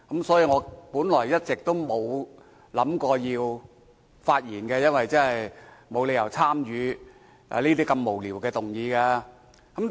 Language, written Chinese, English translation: Cantonese, 所以，我本來一直沒有打算發言，覺得沒理由要參與如此無聊的議案辯論。, That is why I have never intended to speak as I could find no reason to participate in such a meaningless motion debate